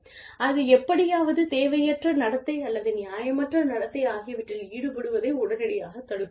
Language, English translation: Tamil, And, that will immediately prevent the indulgence in, unwarranted behavior, or unreasonable behavior, anyway